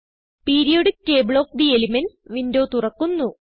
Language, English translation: Malayalam, Periodic table of the elements window opens